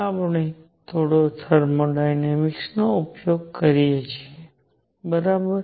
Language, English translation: Gujarati, We use a little bit of thermodynamics, right